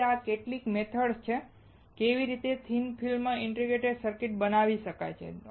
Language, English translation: Gujarati, So, these are some of the methods of how the thin film integrated circuit can be fabricated